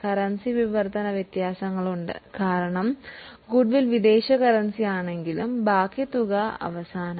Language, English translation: Malayalam, There is currency translation differences because that goodwill is in foreign currency and the balance at the end